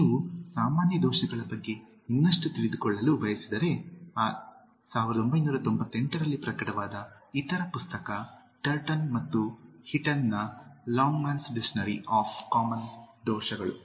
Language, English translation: Kannada, If you want to know more about Common Errors, but the difference between the other book published in 1998 Turton and Heaton’s Longman’s Dictionary of Common Errors